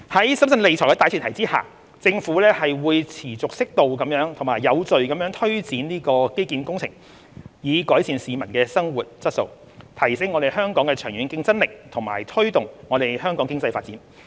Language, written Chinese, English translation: Cantonese, 在審慎理財的大前提下，政府會持續適度及有序地推展基建工程，以改善市民的生活質素，提升香港的長遠競爭力和推動香港經濟發展。, Bearing in mind the importance of prudent financial management the Government will continue to take forward infrastructure projects in an appropriate and orderly manner with a view to improving peoples quality of living enhancing our long - term competitiveness and promoting the economic development of Hong Kong